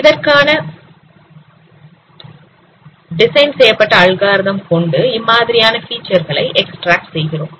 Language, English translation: Tamil, The algorithm is also designed accordingly and then we extract them these features